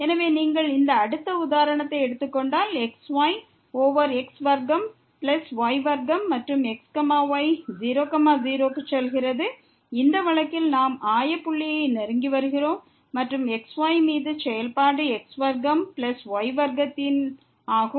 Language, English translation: Tamil, So, if you take this next example over square plus square and goes to , in this case we are approaching to the origin and the function is over square plus square